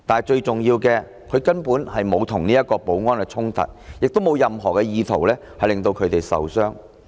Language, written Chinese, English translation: Cantonese, 最重要的是，他根本沒有與保安衝突，亦沒有任何意圖令他們受傷。, Most importantly he did not clash with the security guards nor did he have any intention to cause harm to them